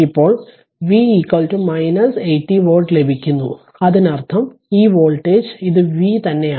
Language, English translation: Malayalam, Now V you are getting minus 80 volt; that means, this voltage this is V same thing